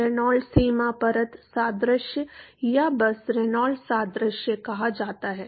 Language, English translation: Hindi, Called the Reynolds boundary layer analogy or simply Reynolds analogy